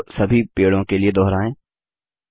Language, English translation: Hindi, Repeat this step for all the trees